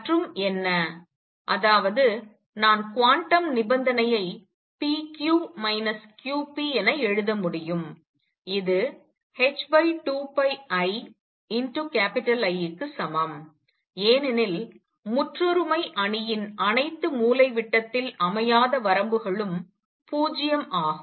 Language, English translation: Tamil, And what; that means, is that I can write the quantum condition as p q minus q p equals h over 2 pi i times the identity matrix because all the off diagonal limits of identity matrix are 0